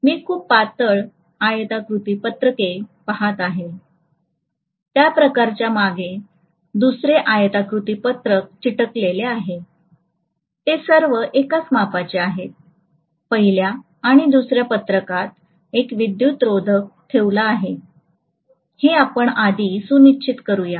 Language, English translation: Marathi, I am essentially looking at very very thin rectangular sheets, each of them stuck to another rectangular sheet behind that, all of them will have the same dimension, only thing what I will ensure is between the first sheet and the second sheet, I put an insulator layer